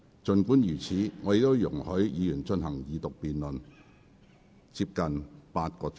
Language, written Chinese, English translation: Cantonese, 儘管如此，我仍然容許議員進行二讀辯論接近8小時。, Despite that I have still allowed Members to engage in the debate on Second Reading for close to eight hours